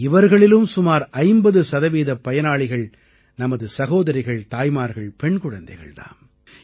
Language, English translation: Tamil, About 50 percent of these beneficiaries are our mothers and sisters and daughters